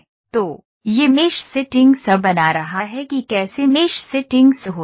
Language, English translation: Hindi, So, this is creating mesh settings how mesh settings happen